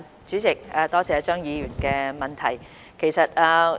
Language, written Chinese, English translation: Cantonese, 主席，多謝張議員的質詢。, President I thank Mr CHEUNG for his question